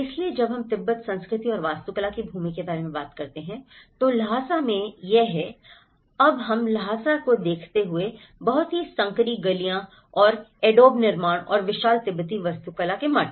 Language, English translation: Hindi, So, when we talk about the land of Tibet, culture and architecture, so in Lhasa, this is how, we see the Lhasa now, the very narrow streets and Adobe constructions and the huge monasteries of the Tibetan architecture